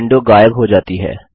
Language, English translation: Hindi, The window disappears